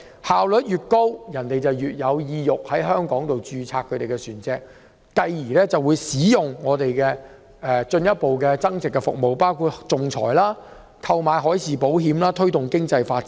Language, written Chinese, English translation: Cantonese, 效率越高，便越能吸引船東在香港註冊其船隻，繼而進一步使用香港的增值服務，包括仲裁和海事保險，從而推動經濟發展。, The more efficient it is the better it can attract shipowners to register their vessels in Hong Kong and then use more of Hong Kongs value - added services including arbitration and marine insurance . In this way our economic development will be promoted